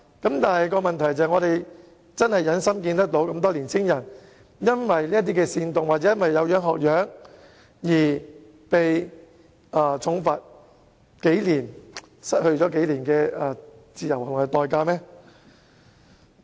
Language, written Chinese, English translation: Cantonese, 我們真的忍心看到這麼多青年人因這些煽動行為或"有樣學樣"而被重罰或監禁數年，因此失去及付出數年的自由和代價嗎？, Can we really bear to see so many young people being subject to heavy penalties or imprisonment of several years due to these acts of incitement or copycat acts to the extent of losing several years of freedom and paying a dear price?